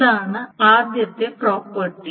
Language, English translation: Malayalam, So that is the first property